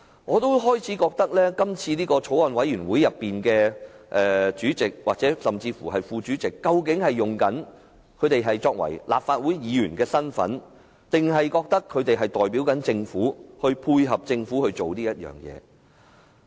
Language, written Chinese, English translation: Cantonese, 我開始懷疑，今次的法案委員會主席甚至副主席，究竟是以立法會議員的身份擔任，還是認為自己代表政府，所以要配合政府這樣做。, This time these rules were not followed at all . I begin to suspect whether the Chairman and also the Deputy Chairman of this Bills Committee have served in their capacity as Legislative Council Members or they consider themselves the Governments representatives so they have to work in this way in collaboration with the Government